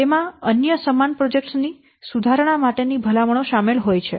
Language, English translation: Gujarati, It also contains recommendations for improvement for other similar projects